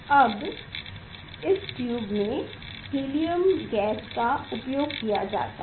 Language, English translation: Hindi, Now, in this tube this helium gas is used helium gas is used